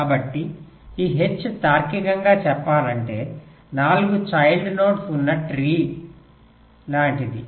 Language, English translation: Telugu, so this h, logically speaking, is like a tree with four child nodes